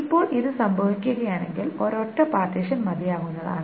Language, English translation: Malayalam, Now if this happens then a single partition is good enough